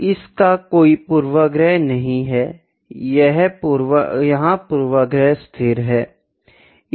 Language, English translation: Hindi, Here it has no bias, here the bias is constant